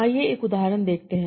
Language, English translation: Hindi, So let's see an example